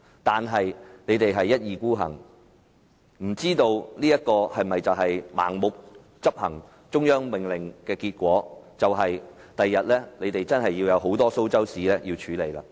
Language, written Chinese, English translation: Cantonese, 但他們一意孤行，不知道盲目執行中央命令的結果，就是日後他們真的有很多"蘇州屎"需要處理。, But they cling obstinately to their path not knowing that the consequence of them blindly executing the order of the Central Authorities will be their having to clean up a lot of mess in the future